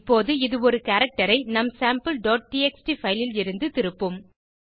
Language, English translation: Tamil, Now, it will return a character from our Sample.txt file